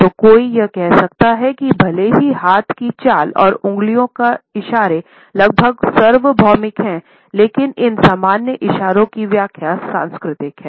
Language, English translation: Hindi, So, one can say that even though the hand movements and finger gestures are almost universal the interpretations of these common gestures are cultural